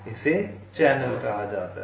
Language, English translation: Hindi, this is called a channel